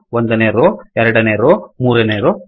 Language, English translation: Kannada, First row, second row, third row